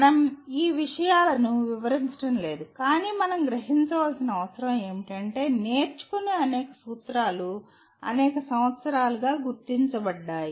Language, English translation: Telugu, We are not going to explore these things but all that we need to realize is there are several principles of learning that have been identified over the years